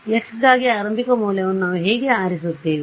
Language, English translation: Kannada, How do we choose an initial value for x